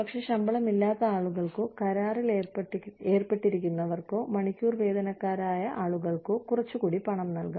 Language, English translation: Malayalam, But, people, who do not have salaries, people, who are on contract, who are hourly wagers, can be given, a little bit more money